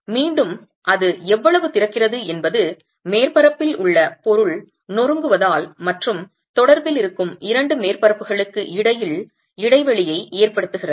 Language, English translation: Tamil, And that again how much it opens up, it's because of crumbling of material on the surface and that causing a gap between the two surfaces that are in contact